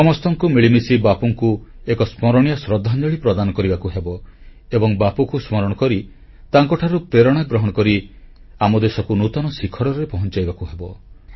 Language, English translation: Odia, We all have to pay a memorable tribute to Bapu and have to take the country to newer heights by drawing inspiration from Bapu